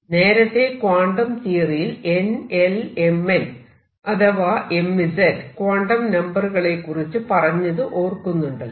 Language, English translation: Malayalam, Now remember from the old quantum theory I had n l n m l or m z quantum numbers